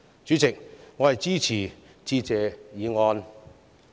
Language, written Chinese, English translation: Cantonese, 主席，我支持致謝議案。, President I support the Motion of Thanks